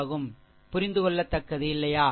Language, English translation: Tamil, So, it is understandable to, right